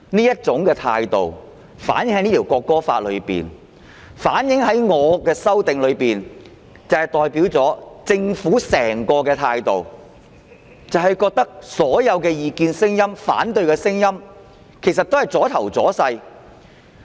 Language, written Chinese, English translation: Cantonese, 這種態度反映在《條例草案》內，亦反映在我的修正案內，政府的整個態度就是覺得所有異見和反對聲音也是"阻頭阻勢"。, This attitude is reflected in the Bill and also in my amendment . The Government has fully assumed such an attitude considering all the dissenting and opposing views as obstacles standing in the way